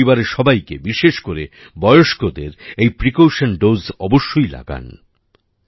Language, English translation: Bengali, Make your family members, especially the elderly, take a precautionary dose